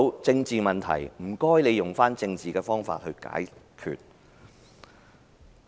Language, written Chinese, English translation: Cantonese, 政治問題，請你們用政治方法來解決。, Chief Secretary will you please resolve political issues with political means